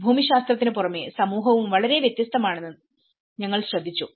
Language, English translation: Malayalam, Apart from geography, we also notice that community is also very different